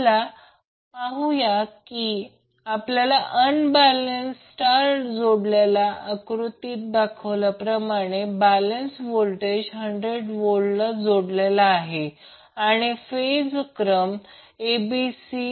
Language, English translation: Marathi, Let us see if we have unbalanced star connected load as shown in the figure is connected to balanced voltage of hundred volt and the phase sequence is ACB